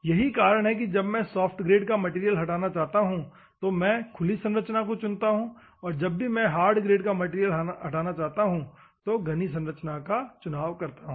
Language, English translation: Hindi, That is why whenever I want to remove material of soft grade, then go for open structure, whenever I want to remove a hard, then you go for a dense structure